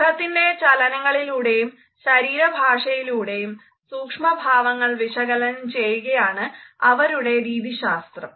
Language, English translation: Malayalam, Their methodology is to interpret micro expressions through facial action, coding system as well as other aspects of body language